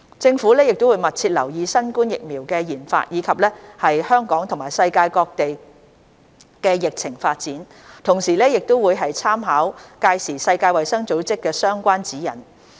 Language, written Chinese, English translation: Cantonese, 政府會密切留意新冠疫苗的研發，以及香港和世界各地的疫情發展，同時亦會參考屆時世衞的相關指引。, The Government will closely monitor the development of COVID - 19 vaccines and the epidemic situation in Hong Kong and around the world . At the same time we will make reference to relevant guidelines promulgated by WHO